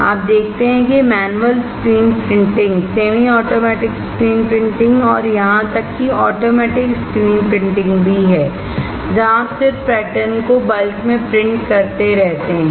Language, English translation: Hindi, You see there is manual screen printing, semi automatic screen printing and even automatic screen printing where you just keep printing the patterns in bulk, right